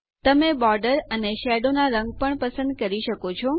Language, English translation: Gujarati, You can choose the colour of the border and the shadow as well